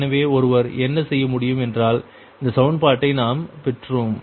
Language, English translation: Tamil, so what one can do is this equation we have got right